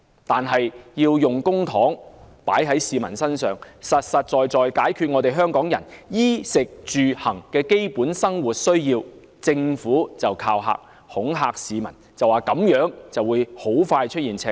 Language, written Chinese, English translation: Cantonese, 但是，當我們要求政府把公帑花在市民身上，實實在在解決香港人衣、食、住、行的基本生活需要時，政府便恐嚇市民，指這樣香港財政很快會出現赤字。, However when we ask the Government to use public money for the people of Hong Kong and meet their basic necessities of life in terms of clothing food accommodation and transportation it will scare the people by claiming that a financial deficit would soon be recorded